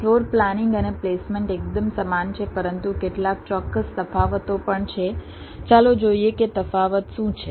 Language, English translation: Gujarati, floor planning and placement are quite similar, but there are some precise differences